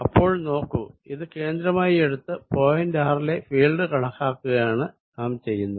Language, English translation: Malayalam, Let us see, what we are doing, we are taking this as the origin, I am calculating field at a point r